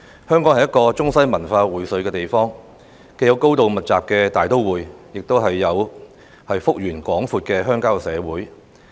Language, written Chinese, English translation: Cantonese, 香港是一個中西文化薈萃的地方，既有高度密集的大都會，亦有幅員廣闊的鄉郊社會。, Hong Kong is a meeting point for East and West cultures . We have a densely populated metropolitan and we also have vast expanses of rural areas